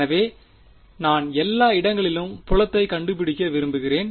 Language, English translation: Tamil, So, I want to find the field everywhere